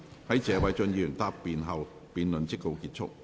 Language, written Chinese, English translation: Cantonese, 在謝偉俊議員答辯後，辯論即告結束。, The debate will come to a close after Mr Paul TSE has replied